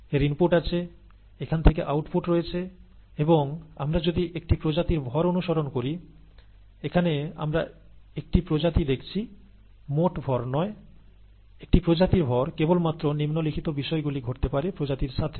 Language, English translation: Bengali, There are inputs to this, there are output streams from this, and therefore, if we follow the mass of a species; we are looking at a species here, not total mass here; mass of a species, only the following can happen to the species